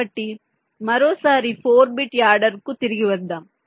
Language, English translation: Telugu, fine, so lets come back to the four bit adder once more